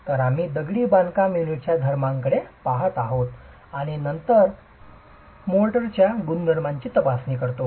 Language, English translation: Marathi, So, we continue looking at the properties of the masonry unit and then examine the properties of mortar